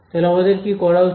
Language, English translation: Bengali, So, what should we do